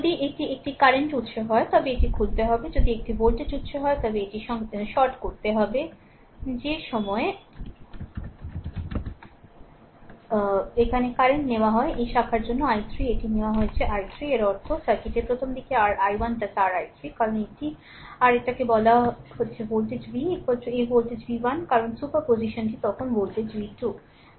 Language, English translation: Bengali, If it is a current source it has to open, if it is a voltage source it has to short right at that time current is taken here is i 3 for this branch it is taken has i 3 right; that means, in that current earlier in the circuit your i actually is equal to your i 1 plus your i 3 right, because this is your what you call this is the voltage v is equal to this voltage v 1 because superposition then is voltage v 2 right